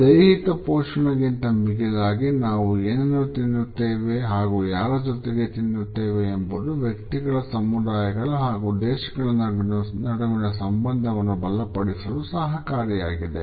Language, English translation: Kannada, Beyond merely nourishing the body, what we eat and with whom we eat can inspire and strengthen the bonds between individuals, communities and even countries”